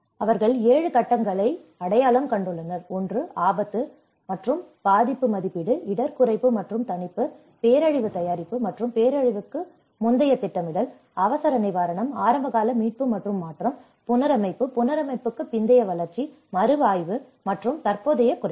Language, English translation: Tamil, They have identified the 7 phases; one is the risk and vulnerability assessment, risk reduction and mitigation, disaster preparedness and pre disaster planning, emergency relief, early recovery and transition, reconstruction, post reconstruction development, review and ongoing reduction